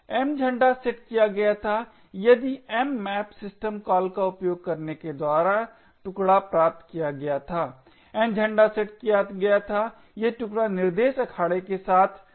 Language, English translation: Hindi, The M flag set if the chunk was obtained using an mmap system call by the N flag is set if the chunk along to a thread arena